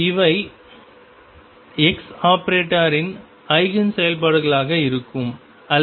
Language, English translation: Tamil, And these will be the Eigen functions of x operator, or delta p equal to 0